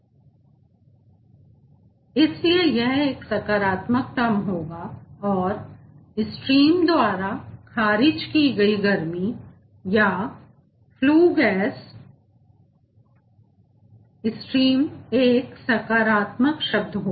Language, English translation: Hindi, enthalpy has reduced, so thats why this will be a positive term, and heat rejected by the a are stream or the flue gas stream, that will be a positive term term